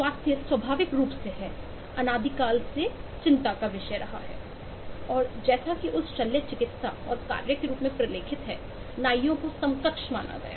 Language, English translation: Hindi, health, naturally, has been a isss issue of concern again from time immo immemorial and, as is eh documented, that eh surgery and the act of barbers were considered equivalent prior to 18 th century